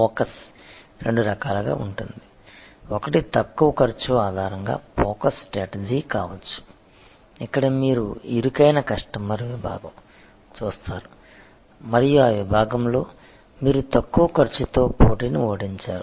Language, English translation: Telugu, The focus can be of two types, one can be that focus strategy based on low cost, where you actually look at in narrow customer segment and in that segment you beat the competition with the lower cost